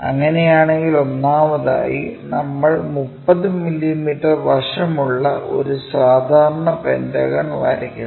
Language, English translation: Malayalam, If that is the case, first of all, we draw a pentagon is regular pentagon 30 mm side